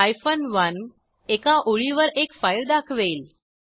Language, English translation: Marathi, 1 lists one file per line